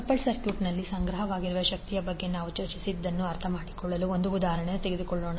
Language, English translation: Kannada, So let us now let us take one example to understand what we discussed related to energy stored in the coupled circuit